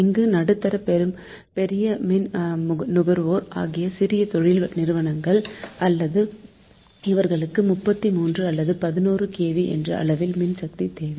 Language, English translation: Tamil, there may be some small industries or medium large consumers who need power at the voltage level of thirty three or eleven kv